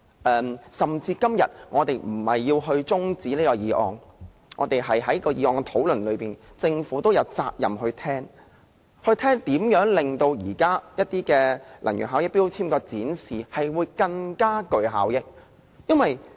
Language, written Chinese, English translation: Cantonese, 即使我們今天並非要將辯論中止待續，而是就議案辯論發言，政府亦有責任聆聽，聆聽如何令現時能源標籤的展示更具效益。, Even if we are not to adjourn the debate but speak on the motion debate instead the Government is likewise duty - bound to listen to our speeches on how best to display energy labels more effectively